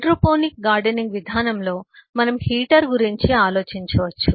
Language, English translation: Telugu, in the hydroponic gardening system we can eh think about a heater